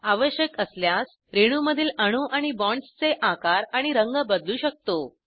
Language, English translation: Marathi, Size and color of atoms and bonds in this molecule can be changed, if required